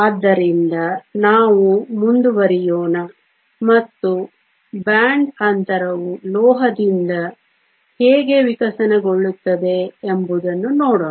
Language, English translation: Kannada, So, let us go ahead and look at how band gap evolves starting with a metal